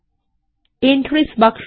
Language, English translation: Bengali, The Entries box pops up